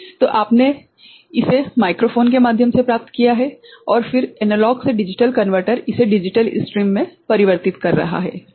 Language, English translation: Hindi, So, you have captured it through microphone and then analog to digital converter is converting it to a digital stream right